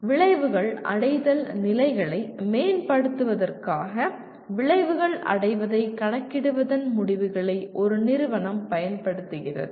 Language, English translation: Tamil, The institution uses the results of calculating the attainment of outcomes to continuously improve the levels of outcome attainment